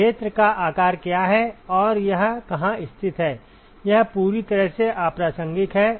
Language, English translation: Hindi, What is the size of the area and where it is located is completely irrelevant